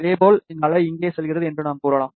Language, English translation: Tamil, Similarly, we can say that this wave goes over here reflects back